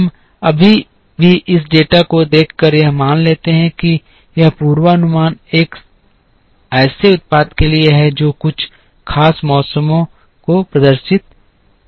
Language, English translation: Hindi, We also right now assume by looking at this data that this forecast is for a product which exhibits certain seasonality